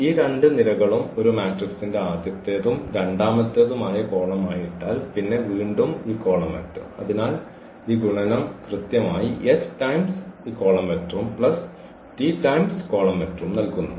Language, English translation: Malayalam, So, if we put these 2 columns as the first and the second column of a matrix and then this s t again column vector there, so that multiplication which exactly give this s times this vector plus t times this vector